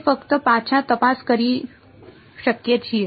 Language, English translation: Gujarati, we can just check back